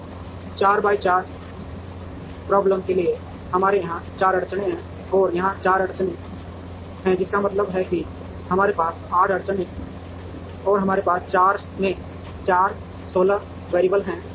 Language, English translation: Hindi, So, for a 4 by 4 problem we have 4 constraints here 4 constraints here, which means we have 8 constraints and we have 4 into 4 16 variables